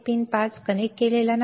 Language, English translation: Marathi, Pin 5 is not connected